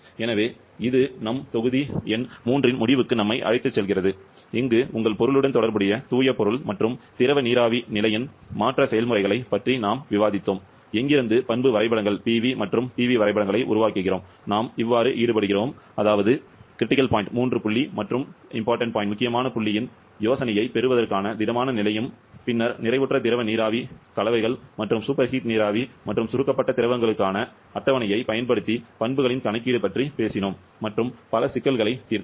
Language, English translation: Tamil, So that takes us to the end of our module number 3, where we discussed about the pure substance and the liquid vapour phase change processes involved with your substance, from where we develop the property diagrams, Pv and Tv diagrams then, we involve the solid phase into that as well to get the idea of the triple point and the critical point, then we talked about the calculation of the properties using the tables for saturated liquid vapour mixtures